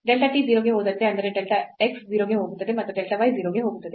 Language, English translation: Kannada, So, as delta t goes to 0 meaning delta x goes to 0 and delta y goes to 0